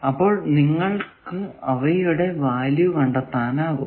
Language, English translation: Malayalam, So, you can find out their values and those values you can put